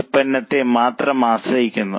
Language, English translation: Malayalam, If they close X also, they become dependent on Y, only one product Y